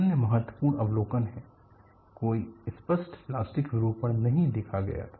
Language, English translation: Hindi, The other significant observation is no visible plastic deformation was observed